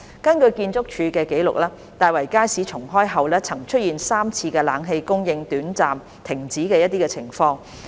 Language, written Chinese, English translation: Cantonese, 根據建築署的紀錄，大圍街市重開後曾出現3次冷氣供應短暫停止的情況。, According to the record of the Architectural Services Department ArchSD since the re - opening of the Market air - conditioning supply has been temporarily suspended on three occasions